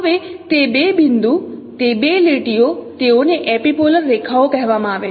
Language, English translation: Gujarati, Now those two points, those two lines, they are called epipolar lines